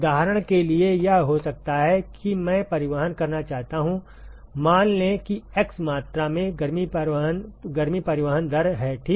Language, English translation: Hindi, For example, it might be that I want to transport let us say x amount of heat transport rate ok